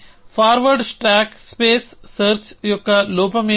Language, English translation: Telugu, What is the drawback of forward stack space search